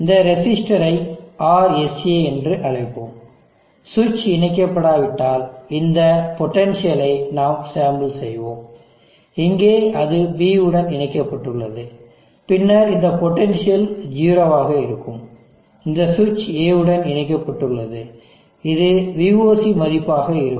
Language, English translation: Tamil, Let us call this resistor RSA, and we will sample this potential if the switch is not connected, here it is connected to D, then this potential will be 0, this switch is connected to A it will be VOC value